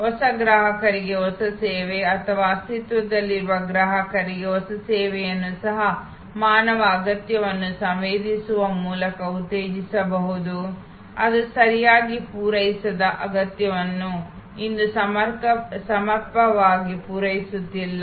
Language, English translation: Kannada, new service to new customers or even new service to existing customer can be stimulated by sensing human needs sensing needs that are not properly fulfilled not adequately met today